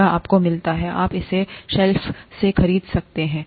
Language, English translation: Hindi, This you get, you can buy it off the shelf